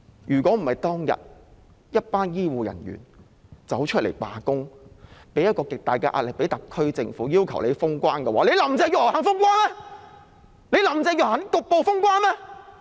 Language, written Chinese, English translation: Cantonese, 若非當天一群醫護人員出來罷工，向特區政府大力施壓，要求封關，林鄭月娥肯封關嗎？, Had it not been for the group of health care workers going on strike piling pressure on the Government and demanding border closure back then would Carrie LAM have been willing to close the border?